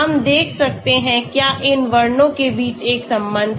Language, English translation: Hindi, We can look at, is there a correlation between these descriptors